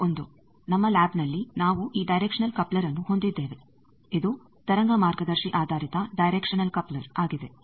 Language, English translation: Kannada, This is the one, in our lab we have this directional coupler this is wave guide based directional coupler